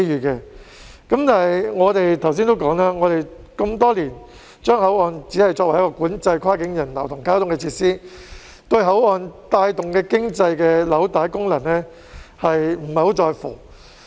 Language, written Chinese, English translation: Cantonese, 但是，正如我剛才指出，香港多年來只把口岸作為管制跨境人流及交通的設施，對口岸帶動經濟的紐帶功能不太在乎。, However as I have just pointed out Hong Kong has for many years regarded the boundary crossings only as a facility for controlling cross - boundary passenger flow and traffic and not cared much about their function as a nexus for driving the economy